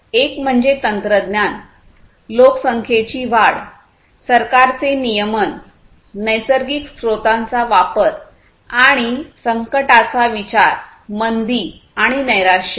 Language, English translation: Marathi, One is technology, growth of population, government regulation, consumption of natural resources, and consideration of crisis, recession, and depression